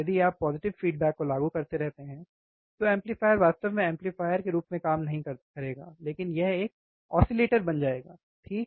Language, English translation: Hindi, If you keep on applying positive feedback, the amplifier will not really work as an amplifier, but it will be an oscillator, right